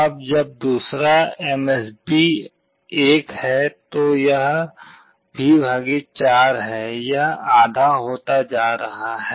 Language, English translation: Hindi, Now when the second MSB is 1, it is V / 4; it is becoming half